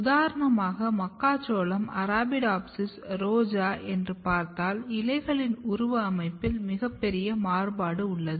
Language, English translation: Tamil, So, for example, if you look maize, Arabidopsis, rose, there is a huge variety in the morphology of leaves